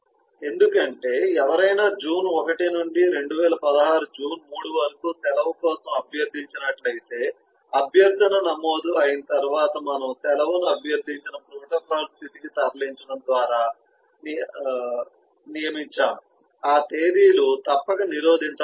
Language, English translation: Telugu, because if eh somebody has requested for a leave, say from eh 1st june to 3rd june, eh 2016, then once the request is registered that is what we are designating by moving the leave to the protocol state requested then the those dates must be blocked so that no further leave request or other request can be made on those dates